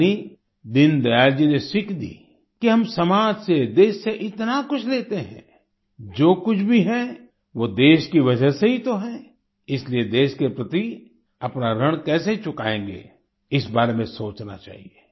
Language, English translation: Hindi, " That is, Deen Dayal ji taught us that we take so much from society, from the country, whatever it be, it is only because of the country ; thus we should think about how we will repay our debt towards the country